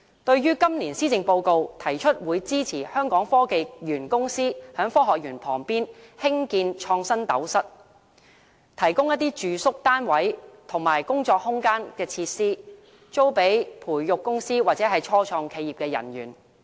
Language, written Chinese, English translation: Cantonese, 對於今年施政報告提出會支持香港科技園公司在科學園旁邊興建"創新斗室"，提供住宿單位和工作空間等設施，租予培育公司或初創企業的人員。, It proposes in the Policy Address this year to construct at a site adjacent to the Science Park an InnoCell with ancillary facilities such as residential units and working spaces for leasing to staff of the incubatees and start - ups in the Science Park